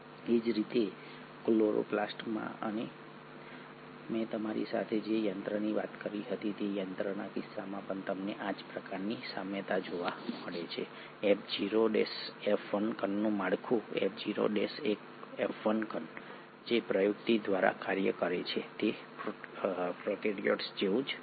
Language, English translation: Gujarati, Similarly you find the same sort of analogy in case of chloroplast and even the machinery which I spoke to you, the structure of F0 F1 particle, the mechanism by which the F0 F1 particle functions, has remained very similar to that of prokaryotes